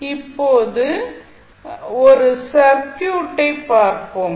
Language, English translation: Tamil, Now, let us see the circuit here